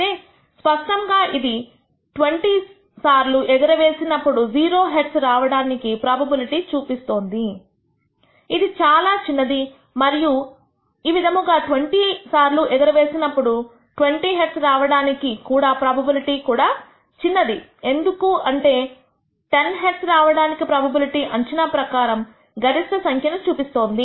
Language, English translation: Telugu, 5 clearly, it shows the probability of receiving 0 heads in 20 tosses is extremely small and similarly the probability of obtaining 20 heads in 20 tosses loss is also small as expected the probability of obtaining ten heads has the maximum value as shown